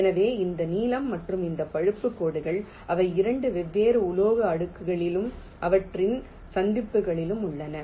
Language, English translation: Tamil, so this blue and this brown lines, they are on two different metal layers and their junctions junctions will mean there has to be a connection between the two layers